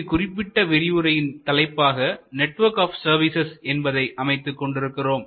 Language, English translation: Tamil, So, this particular session we have titled as Network of Services